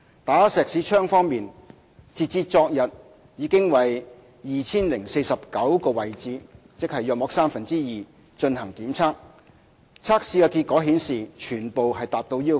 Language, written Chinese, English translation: Cantonese, "打石屎槍"方面，截至昨天已為約 2,049 個位置進行檢測，測試結果顯示全部達到要求。, As regards Schmidt Hammer Tests as of yesterday around 2 049 stress - critical locations were tested . The test results revealed that the tested structures were all up to standard